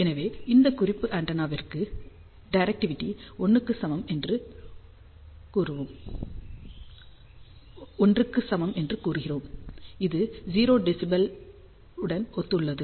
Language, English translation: Tamil, So, for this reference antenna we say directivity is equal to 1, which corresponds to 0 dBi